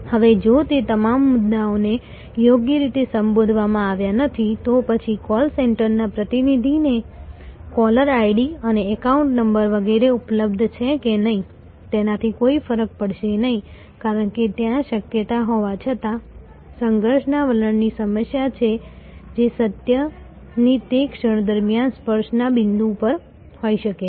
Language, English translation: Gujarati, Now, of if all those issues have not been properly addressed, then whether the caller id and account number etc are available to the call center representative or not, will not make of a difference, because there even though the possibility exists, the occasion may not approach that possibility, because of the conflict attitudinal problem that may be at the touch point during that moment of truth